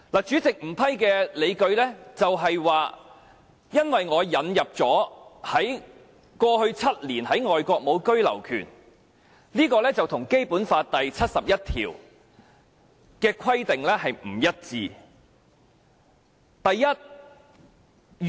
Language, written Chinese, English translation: Cantonese, 主席不批准的理據是，因為我引入了過去7年在外國無居留權的這項條件，這跟《基本法》第七十一條的規定不一致。, The President rejected my amendment with the justification that the proposed requirement of having no right of abode overseas in the past seven years was inconsistent with Article 71 of the Basic Law